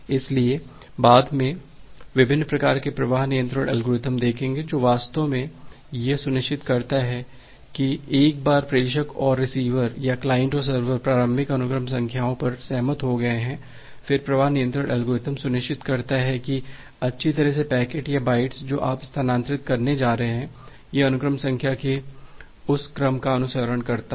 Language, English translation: Hindi, So, later on will see the different types of flow control algorithms, which actually ensures that once the sender and the receiver or the client and the server has agreed upon the initial sequence numbers, then the flow control algorithm ensures that well the packets or the bytes that you are going to transfer, it follows that sequence of the sequence number